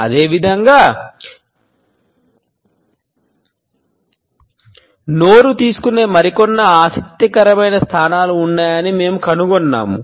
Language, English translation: Telugu, Similarly, we find that there are some other interesting positions which our mouth is capable of taking